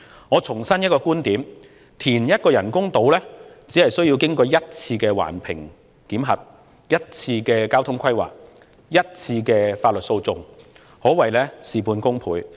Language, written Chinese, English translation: Cantonese, 我重申一個觀點，填一個人工島，只須經過一次環評的檢核、一次交通規劃、一次法律訴訟，可謂事半功倍。, Let me reiterate one point In creating an artificial island by reclamation only one environmental assessment one transport planning and one lawsuit are necessary so it is double output with half input